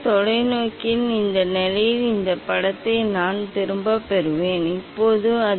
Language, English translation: Tamil, I will rotate as long as I am getting back this image at this position of the telescope